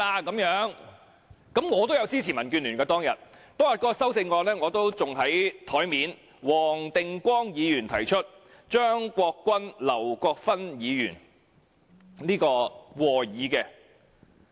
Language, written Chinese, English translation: Cantonese, 我當天也支持民建聯，那項修正案仍放在我的桌上，由黃定光議員提出，張國鈞議員及劉國勳議員和議。, I supported DABs motion moved by Mr WONG Ting - kwong and seconded by Mr CHEUNG Kwok - kwan and Mr LAU Kwok - fan that day . The document is still on my desk